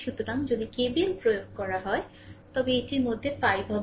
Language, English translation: Bengali, So, if you apply KVL, then it will be 5 into i this i